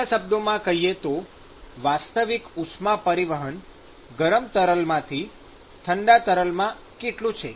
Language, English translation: Gujarati, So, I want to know, what is the effective heat transport, that is occurred from the hot fluid to the cold fluid